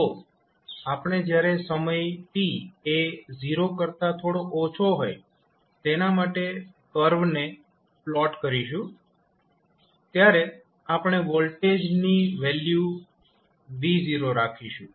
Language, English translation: Gujarati, So, when we plot the curve for t less than just before 0 we will keep the value of voltage as v naught